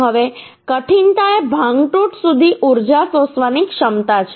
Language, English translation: Gujarati, Now, toughness is a ability to absorb energy up to facture